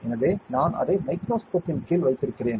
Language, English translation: Tamil, So, I am keeping it under the microscope